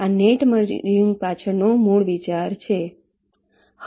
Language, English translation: Gujarati, ok, this is the basic idea behind net merging